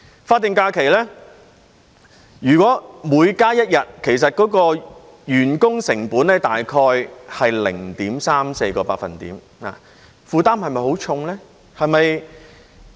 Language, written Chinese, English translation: Cantonese, 法定假期，如果每加一日，員工成本大概是 0.34 個百分點，負擔算重嗎？, If an additional SH incurs an extra staff cost of around 0.34 % will it be a heavy burden?